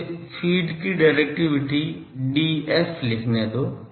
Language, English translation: Hindi, D f let me write directivity of feed D f